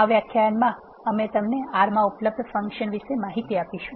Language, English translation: Gujarati, In this lecture we are going to introduce you to the functions in R